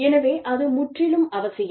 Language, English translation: Tamil, So, that is absolutely essential